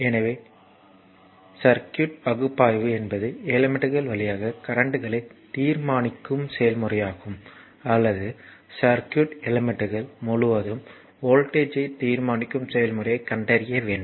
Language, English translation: Tamil, So, circuit analysis is the process of determining the currents through the elements or the voltage across the elements of the circuit, either you have to find out the current through an element or the voltage across this elements right